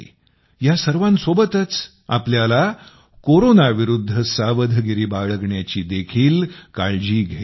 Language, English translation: Marathi, In the midst of all this, we also have to take precautions against Corona